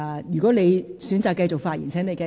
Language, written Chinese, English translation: Cantonese, 如果你現在選擇繼續發言，便請繼續。, If you choose to continue your speech now please go ahead